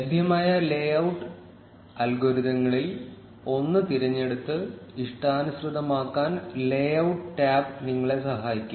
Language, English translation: Malayalam, The layout tab can help you select and customize one of the available layout algorithms